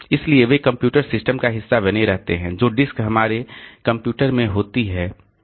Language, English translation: Hindi, Then in the secondary storage, so they remain part of the computer system, the disk that we have in our computers